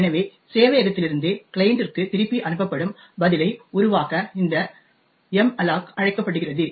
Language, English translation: Tamil, So, this malloc is called to essentially create the response which is sent back from the server to the client